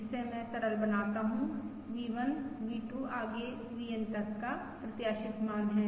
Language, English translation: Hindi, so this is, for instance, V2, V1, V1, V2, so on, up to V1, VN